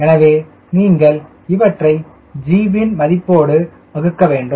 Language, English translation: Tamil, so you have to multiply, divide by value of g